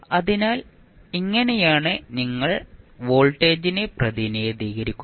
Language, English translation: Malayalam, So, this is how you will represent the voltage